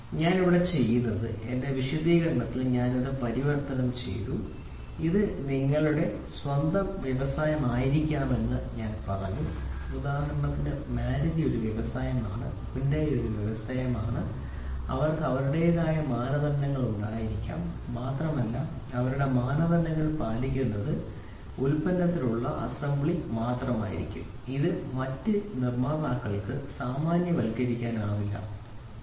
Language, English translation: Malayalam, So, here what I have done is I have converted this in my explanation I have said this can be your own industry for example, Maruti is an industry, Hyundai is an industry, they can have their own standards and their standards meet out only within the assembly within their product only, it cannot be generalized to other producer, right